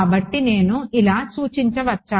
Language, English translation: Telugu, So, can I refer to like this